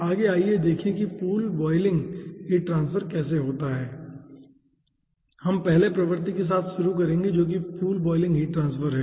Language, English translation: Hindi, right next let us see that how pool boiling heat transfer occurs will be starting with the ah first regime, which is pool boiling heat transfer